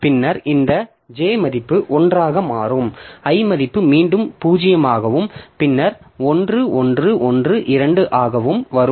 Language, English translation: Tamil, Then this J value will become 1 and I value will again come to 0